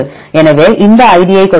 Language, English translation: Tamil, So, if we give this id